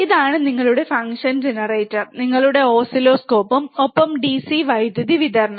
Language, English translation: Malayalam, This is your function generator your oscilloscope and DC power supply